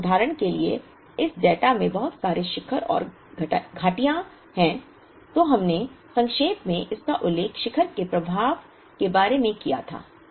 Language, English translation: Hindi, If for example, there are lots of peaks and valleys in this data, we did briefly mention it in the earlier lecture the impact of the peak